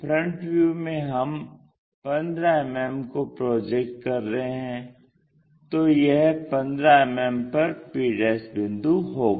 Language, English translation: Hindi, In the front view we are projecting that 15 mm, so that p' point will be at 15 mm